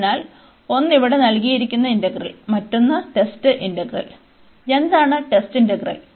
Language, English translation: Malayalam, So, one this given integral here, and the another one our test integral, what is the test integral